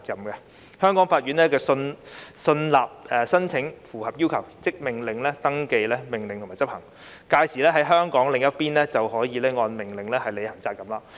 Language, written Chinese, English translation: Cantonese, 若香港法院信納有關申請符合要求，即會命令登記及執行有關命令，屆時在港的另一方就要按命令履行責任。, If the Hong Kong court is satisfied that the application meets the relevant requirements it may order that the order concerned be registered and enforced . Then the other party in Hong Kong must fulfil hisher obligations as ordered